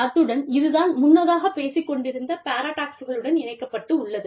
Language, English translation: Tamil, And, this is linked to the paradoxes, that i was talking about, earlier